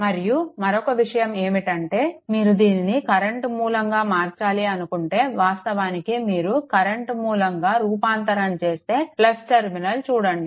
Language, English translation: Telugu, And, another thing is, if this one you want to suppose, convert it to your current source right, that actually this one if you transform into current source, so, plus look at the terminal